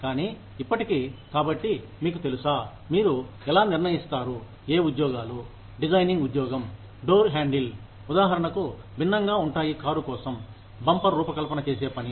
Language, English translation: Telugu, But still, so you know, how do you decide, which jobs are, how the job of designing, a door handle, for example, is different from, the job of designing a bumper, for the car